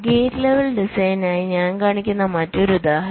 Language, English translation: Malayalam, so another example i am showing for a gate level design